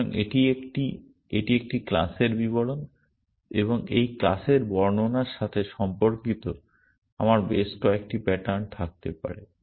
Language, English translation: Bengali, So, this is a, this is a class description and correspondent to this class description I may have several patterns